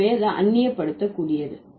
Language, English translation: Tamil, So, that's going to be alienable